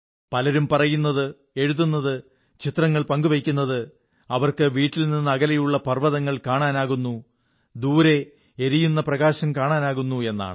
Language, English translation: Malayalam, Many people are commenting, writing and sharing pictures that they are now able to see the hills far away from their homes, are able to see the sparkle of distant lights